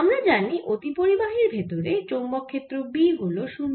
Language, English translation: Bengali, so we know that magnetic field b inside a superconductor is zero